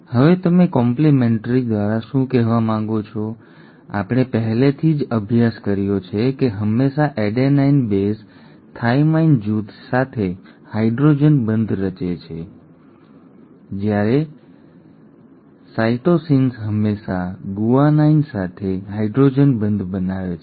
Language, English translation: Gujarati, Now what do you mean by complimentary, we have already studied that always the adenine base will form a hydrogen bond with the thymine group while the cytosines will always form hydrogen bonds with the guanine